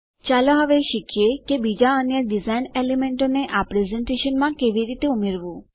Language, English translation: Gujarati, Lets now learn how to add other design elements to this presentation